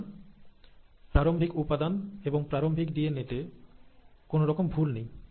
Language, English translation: Bengali, So the starting material, the starting DNA has no DNA damage